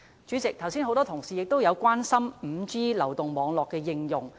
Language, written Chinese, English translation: Cantonese, 主席，很多同事剛才也關心 5G 流動網絡的應用。, President just now many Honourable colleagues expressed concern about the application of the 5G mobile network